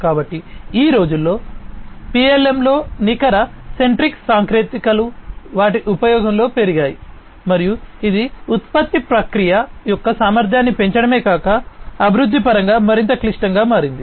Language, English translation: Telugu, So, net centric technologies have increased in their use in PLM nowadays, and that has also not only improved not only increased the efficiency of the production process, but has also made it much more complex, in terms of development